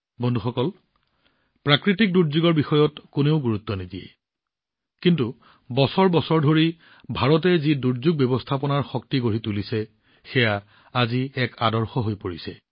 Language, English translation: Assamese, Friends, no one has any control over natural calamities, but, the strength of disaster management that India has developed over the years, is becoming an example today